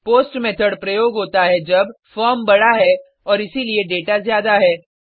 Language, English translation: Hindi, POST Method is used when: the form is large and hence the data is more